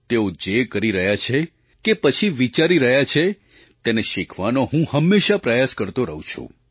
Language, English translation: Gujarati, I try to learn from whatever they are doing or whatever they are thinking